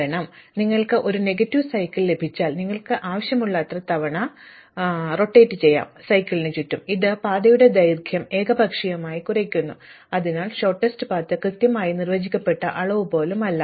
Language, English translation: Malayalam, Because, once you have a negative cycle, you can go round and around cycle as many times as you want, it arbitrarily reduces the length of the path, so the shortest path is not even a well defined quantity